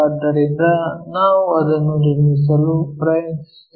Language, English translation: Kannada, So, that is the thing what we are trying to construct it